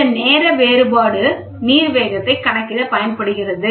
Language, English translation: Tamil, The time difference is used to calculate the water speed